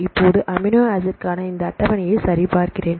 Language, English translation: Tamil, Now, I check this table for the amino acid